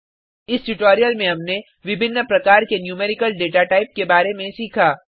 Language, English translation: Hindi, In this tutorial we have learnt about the various numerical datatypes